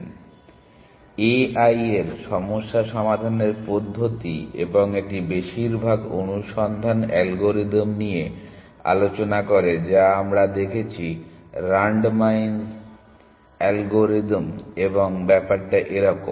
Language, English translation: Bengali, Problem solving methods in a i and it discusses most of the search algorithm that we have seen accept the randomize algorithm and things like that